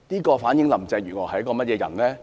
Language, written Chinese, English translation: Cantonese, 這反映林鄭月娥是一個怎樣的人呢？, What does it tell about the kind of person Carrie LAM is?